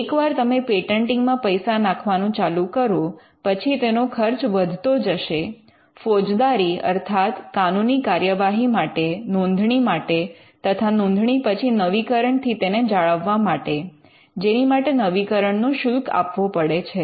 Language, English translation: Gujarati, Once you start investing money into patenting then the money is like it will incur expenses not just in the form of prosecution and registration, but also after registration they could be money that is required to keep the patent alive through renewals; there will be renewal fees